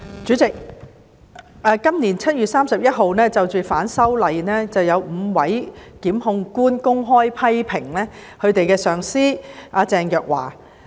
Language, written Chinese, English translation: Cantonese, 主席，今年7月31日，有5位檢控官因應反修例風波公開批評其上司鄭若驊。, President on 31 July this year five Public Prosecutors openly criticized their superior Teresa CHENG amidst the disturbances arising from the opposition to the proposed legislative amendments